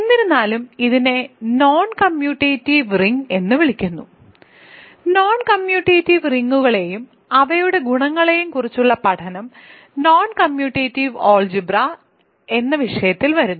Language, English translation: Malayalam, So, the study of non commutative rings and their properties comes under the subject of non commutative algebra